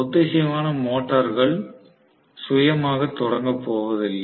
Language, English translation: Tamil, So, synchronous motor is not going to be self starting